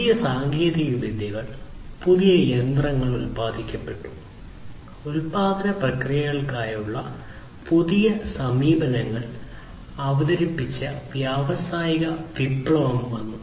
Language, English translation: Malayalam, Then came the industrial revolution where new technologies, new machines were produced, new approaches to the production processes were introduced